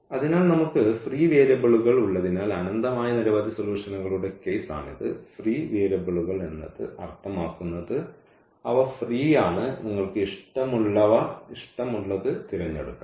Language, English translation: Malayalam, So, this is the case of infinitely many solutions since we have the free variables; free variables again means they are free, you can choose whatever you like